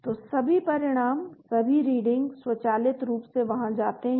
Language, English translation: Hindi, So all the results all the reading automatically go there